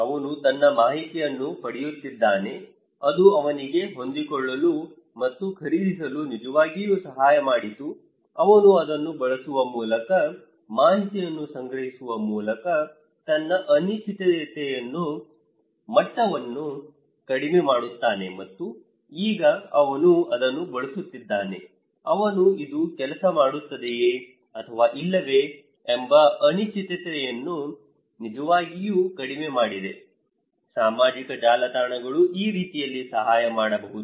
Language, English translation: Kannada, He is getting informations to his network that really helped him to adapt and buy this one so, he reduces his degree of uncertainty through using it, through collecting informations and now he is using it so, he really reduced uncertainty whether this will work or not, the social networks can help this way